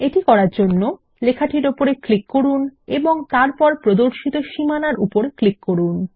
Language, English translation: Bengali, To do this, click on the text and then click on the border which appears